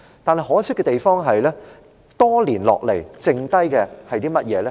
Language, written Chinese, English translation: Cantonese, 不過，可惜的地方是，多年後，只剩下甚麼呢？, However it is a pity to see what we are left with after so many years